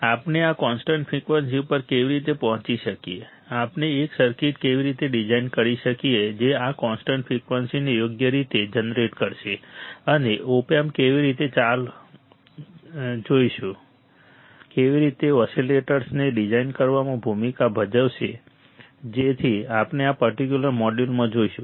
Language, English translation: Gujarati, How we can arrive to this constant frequency, how we can design a circuit that will generate this constant frequency right and how the op amp will play a role in designing the oscillators, so that we will see in this particular module